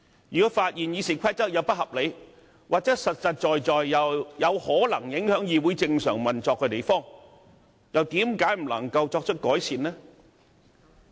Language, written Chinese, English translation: Cantonese, 如果發現《議事規則》有不合理之處，又或有實在可能影響議會正常運作的地方，為何不能對之作出改善？, If it is considered that some provisions in the Rules of Procedure are unreasonable or some requirements contained therein would possibly affect the normal operations of the Legislative Council why not consider making the necessary improvements?